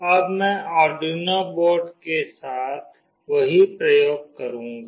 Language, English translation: Hindi, Now I will be doing the same experiment with Arduino board